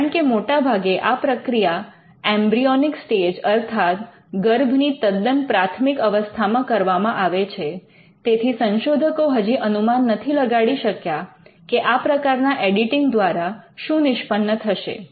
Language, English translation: Gujarati, Because, most of the time that technique is used at the embryonic stage and researchers are not able to predict what could be the ultimate consequence of these editing